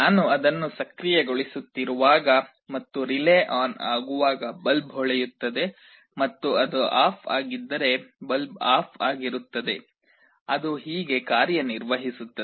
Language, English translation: Kannada, When I am activating it and the relay becomes on, the bulb will glow, and if it is off the bulb will be off this is how it works